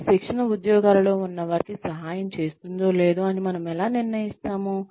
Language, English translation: Telugu, How do we decide, whether this training is helping people in the jobs, that they are doing or not